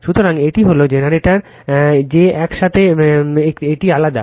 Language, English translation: Bengali, So, this is it is generator that together it is different